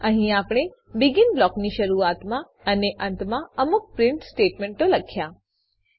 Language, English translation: Gujarati, Here, we have printed some text before and after BEGIN blocks